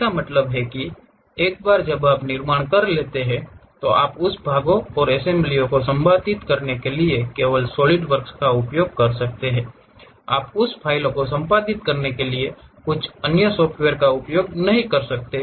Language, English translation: Hindi, That means, once you construct that you can use only Solidworks to edit that parts and assemblies, you cannot use some other software to edit that file